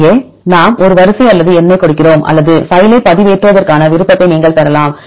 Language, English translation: Tamil, And here either we give a sequence or number or you can have the option to upload the file